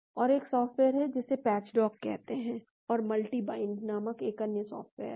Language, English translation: Hindi, And there is a software called a patch dock, and there is another software called Multi bind